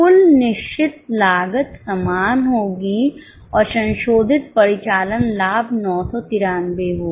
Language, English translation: Hindi, Total fixed cost will be same and revised operating profit will be 9